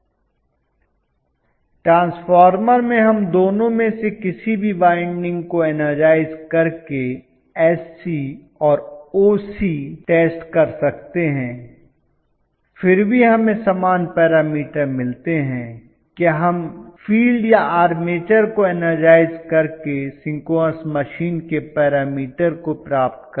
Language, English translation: Hindi, In transformer we can conduct the SC and OC test by energizing either of the windings, still we get equal parameters, will we be able to get the parameters of the synchronous machine either by energizing the field or the armature